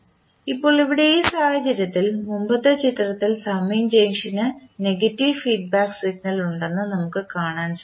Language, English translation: Malayalam, Now, here in this case we say that in the previous figure we can observe that the summing junction will have negative feedback signal